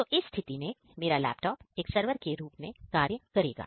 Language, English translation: Hindi, So, in this case, my laptop is going to act as a server